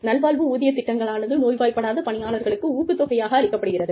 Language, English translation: Tamil, Wellness pay programs are provide, incentives for people, who do not fall sick